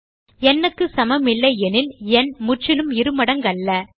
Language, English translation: Tamil, If it is not equal to n, the number is not a perfect square